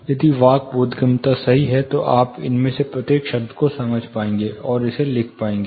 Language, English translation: Hindi, If the speech intelligibility is good, you will be able to understand each of these words and write it down